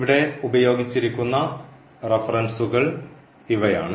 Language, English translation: Malayalam, These are the references used here, and